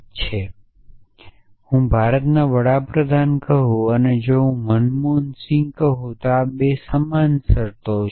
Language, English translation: Gujarati, So, if I say the prime minister of India and if i say manmohan singh then I say these 2 terms are the same